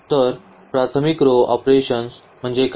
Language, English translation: Marathi, So, what do you mean by elementary row operations